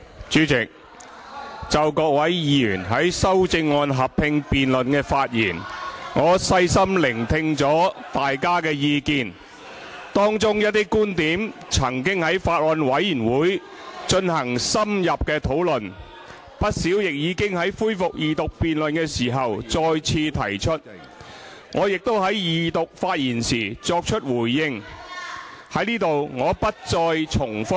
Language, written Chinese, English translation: Cantonese, 主席，就各位議員在修正案合併辯論的發言，我細心聆聽大家的意見，當中一些觀點曾經在法案委員會進行深入的討論，不少亦已經在恢復二讀辯論時再次提出，我亦已在二讀發言時作出回應，在此我不再重複。, Chairman in respect of the remarks made by Members in the joint debate on the amendments I have listened to their views carefully . Some of those views have already been discussed in depth in the Bills Committee and many of them were raised yet again in the resumed Second Reading debate to which I have responded in my Second Reading reply I will make no repetition here